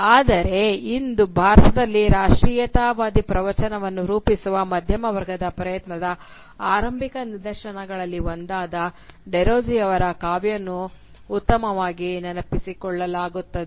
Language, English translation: Kannada, But today, Derozio is best remembered for his poetry which represents one of the earliest instances of the middle class attempt to forge a nationalist discourse in India